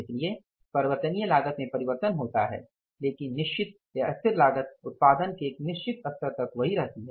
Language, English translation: Hindi, So, variable cost changes but the fixed cost remains the same to a certain level of production